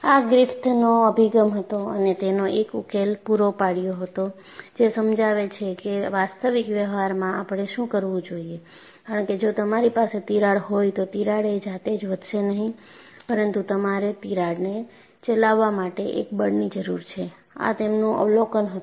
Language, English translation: Gujarati, And it was Griffith’s approach and ingenuity provided a solution which explains what we see in actual practice; because his observation was, if you have a crack, the crack will not grow by itself, but you need a, a force to drive the crack